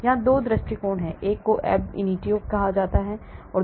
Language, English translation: Hindi, There are 2 approaches here one is called the ab initio method, here